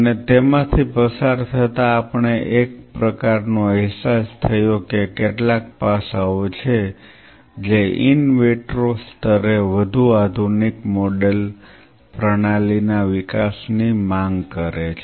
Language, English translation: Gujarati, And while going through it we kind of realized that there are few aspects which demands development of a much more advanced model system that to at the in vitro level